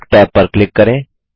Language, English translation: Hindi, Click the Work tab